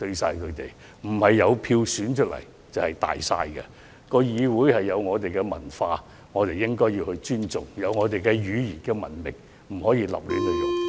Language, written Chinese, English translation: Cantonese, 因為不是有票選出來的便"大晒"，議會有其文化，我們應要尊重，有語言的文明，也不能亂用。, They do not have dominance over all issues simply because they are returned by election . The legislature has its own culture which we should respect and there is verbal civilization which should not be abused